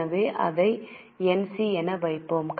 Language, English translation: Tamil, So, we will put it as NC